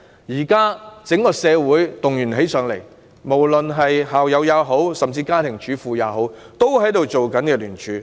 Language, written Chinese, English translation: Cantonese, 現時整個社會也動員，無論是校友或家庭主婦也參與聯署。, Now members of the whole community have been mobilized with participation from alumni and housewives in petitions